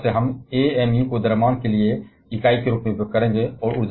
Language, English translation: Hindi, So, from now onwards we shall be using amu as the unit for mass